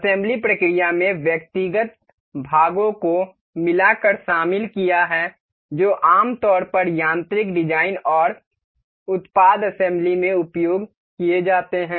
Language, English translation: Hindi, The assembly process consist of combing the individual parts that are usually used in mechanical designs and product assembly